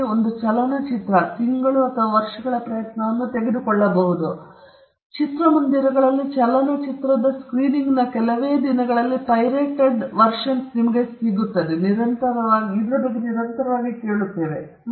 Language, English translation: Kannada, Similarly, a movie may take months or years of effort to complete, but we hear constantly about pirated versions coming out within just few days of screening of the movie in the theaters